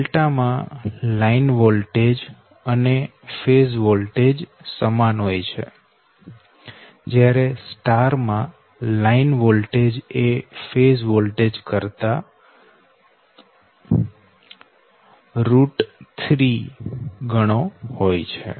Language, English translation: Gujarati, and star case, you know delta, delta case, you know line voltage and phase voltage same, whereas star case line voltage is equal to root, three times the phase voltage